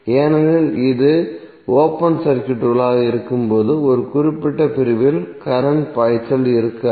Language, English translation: Tamil, Because when it is open circuited there would be no current flowing in this particular segment right